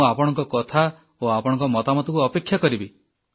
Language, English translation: Odia, I will wait for your say and your suggestions